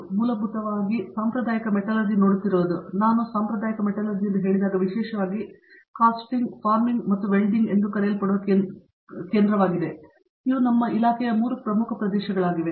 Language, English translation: Kannada, So, basically looking at traditional metallurgy, when I said traditional metallurgy, our department particularly concentrated on what is called Casting, Forming, Welding these are the 3 core areas of our department